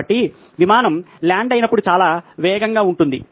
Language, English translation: Telugu, So, the plane is very, very fast when it lands